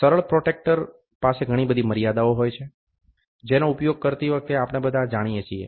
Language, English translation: Gujarati, Simple protractor has lot of limitations, which we all know while using